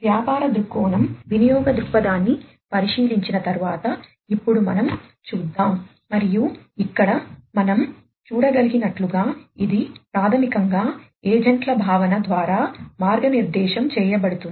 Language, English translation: Telugu, So, let us now after the business viewpoint look at the usage viewpoint and as we can see over here it is basically guided through the concept of the agents